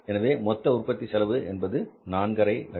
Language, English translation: Tamil, Total cost is 450,000 rupees